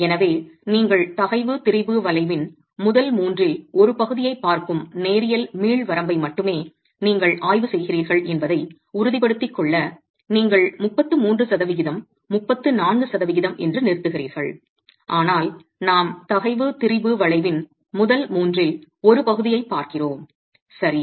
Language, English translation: Tamil, So to be sure you are examining only the linear elastic range, you are looking at the first third of the stress strain curve and therefore you stop at 33 percent, not 34 percent, but the point is you are looking at first third of the stress strain curve